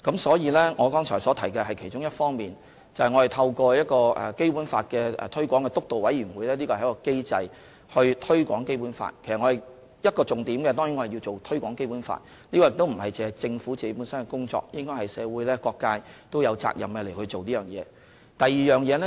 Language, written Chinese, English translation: Cantonese, 所以，我剛才提及的是其中一方面，便是我們透過基本法推廣督導委員會從機制上推廣《基本法》，一個重點當然是推廣《基本法》，這亦不止是政府的工作，社會各界也應該有責任這樣做。, Hence as I have mentioned among other things just now we have set up the Steering Committee as a mechanism for promoting the Basic Law . Promoting the Basic Law is of course one focus of the Steering Committee . But this should not be the work for the Government alone as various sectors in society should also do so